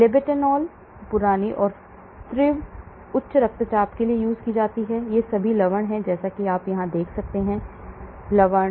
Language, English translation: Hindi, Labetalol is chronic and acute hypertension, these are all salts as you can see here, salts